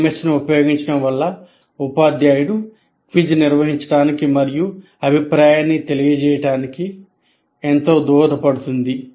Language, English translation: Telugu, Using an LMS will greatly facilitate the teacher to conduct a quiz and give feedback